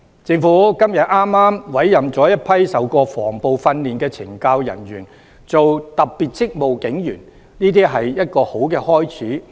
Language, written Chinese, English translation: Cantonese, 政府今天委任了一批曾接受防暴訓練的懲教人員擔任特別職務警察，這是一個好開始。, Today the Government appointed a batch of officers of the Correctional Services Department CSD who have received anti - riot training as special constables . This is a good start